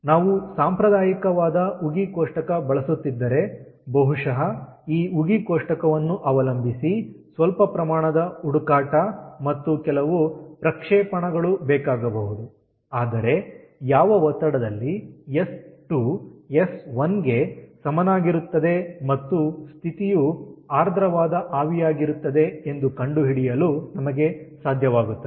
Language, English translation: Kannada, if we are using a conventional steam table, then probably ah, some amount of searching, and probably ah, um, some interpolation may be needed, depending on this steam table, but we will be able to find out the pressure at which ah, s two is equal to s one and the condition is saturated vapour